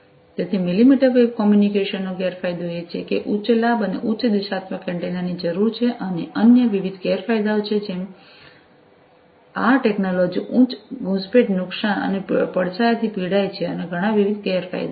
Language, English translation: Gujarati, So, disadvantages of millimetre wave communication is that there is a need for high gain, and high directional antennas, and there are different other disadvantages such as have you know this technology suffers from high penetration loss, and shadowing, and there are many more different other disadvantages